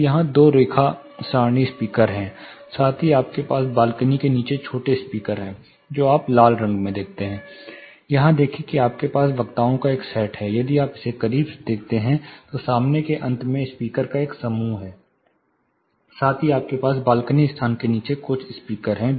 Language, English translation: Hindi, So, there are two line array speakers here, plus you have smaller speakers below the balcony, what you see in red color; that is you know see here you have a set of speakers, if you look at it closely, there are a set of speakers in the front end, plus you have certain speakers below the balcony space